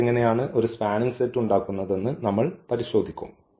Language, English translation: Malayalam, So, here we will check how this forms a spanning set